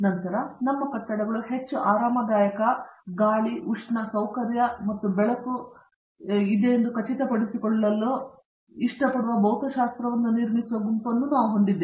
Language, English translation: Kannada, Then we also have a group which works on building Physics, like to make sure that our buildings are more comfortable ventilation, thermal, comfort and lighting